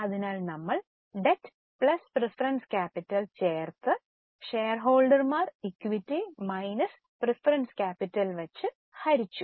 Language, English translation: Malayalam, So, we add debt plus preference capital and divide it by shareholders equity minus the preference capital